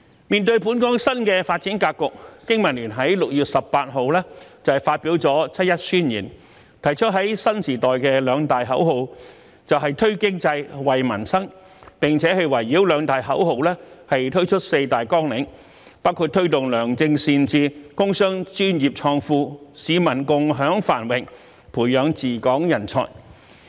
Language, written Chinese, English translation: Cantonese, 面對本港新的發展格局，經民聯在6月18日發表了《七一宣言》，提出在新時代的兩大口號"推經濟、惠民生"，並圍繞兩大口號推出四大綱領，包括"推動良政善治、工商專業創富、市民共享繁榮、培養治港人才"。, In response to the new development setting of Hong Kong BPA issued on 18 June a Manifesto of 1 July . We put forth two major slogans and that is Boosting the Economy and Benefitting the People . With these two slogans as the mainstay we put forth four guiding principles namely Promoting good policies and sound governance Wealth creation by the industrial business and professional sectors Sharing prosperity with the people and Nurturing talents to administer Hong Kong